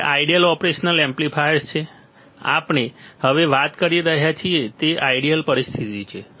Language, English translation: Gujarati, Ideal operational amplifiers we are talking about now ideal situation ok